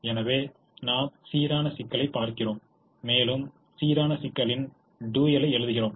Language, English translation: Tamil, so we look at the balanced problem and then we write the dual of the balanced problem